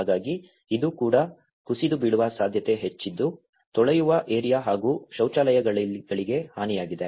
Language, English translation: Kannada, So, there is a great possibility that this may also collapse and the wash areas has been damaged behind and the toilets